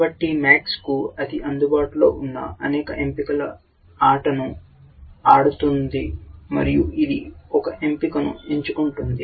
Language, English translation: Telugu, So, max is playing a game of the many choices that it has available, it makes one choice